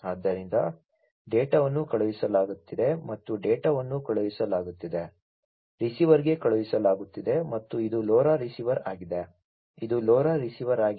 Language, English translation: Kannada, So, the data are being sent and the data are being sent to the; are being sent to the receiver and this is this LoRa receiver, this is this LoRa receiver